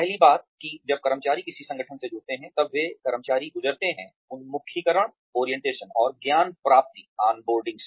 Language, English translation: Hindi, The first thing, that employees go through, when they join an organization is, employee orientation and on boarding